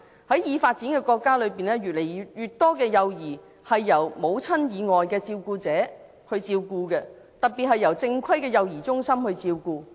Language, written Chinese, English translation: Cantonese, 在已發展的國家中，越來越多幼兒由母親以外的照顧者照顧，特別是由正規的幼兒中心照顧。, In the developed countries more and more children are being taken care of by carers who are not their mothers and in particular by formal child care centres